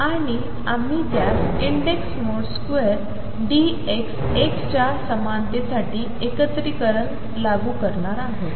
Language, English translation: Marathi, And we are going to enforce that integration for the same index mode square d x be equal to 1